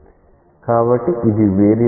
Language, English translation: Telugu, So, this is a variable limit